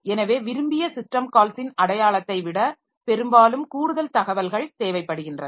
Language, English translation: Tamil, So, often more information is required than simply the identity of the desired system call